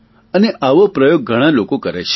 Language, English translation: Gujarati, And such experiments are done by many people